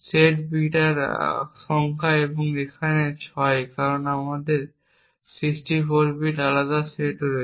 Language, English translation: Bengali, Number of set bits which is 6 over here because we have 64 different sets